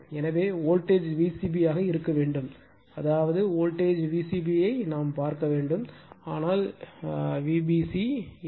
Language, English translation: Tamil, So, voltage should be V c b it means it is see the voltage V c b, but not V b c right